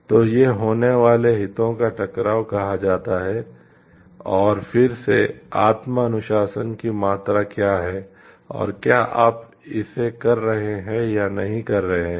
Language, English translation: Hindi, So, these are called like conflicts of interest happening and again what is the degree of self discipline and whether you will be doing it or not doing it